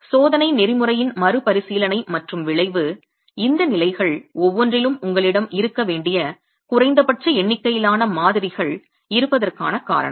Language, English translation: Tamil, And the repeatability of the test protocol and the outcome is the reason why you have a minimum number of samples that you must have in each of these levels